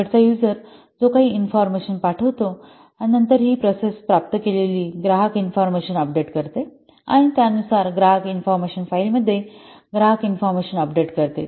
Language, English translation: Marathi, Here see the end user what sends some customer info info, then this process update customer info it receives that information and accordingly it updates the customer info where in the customer info file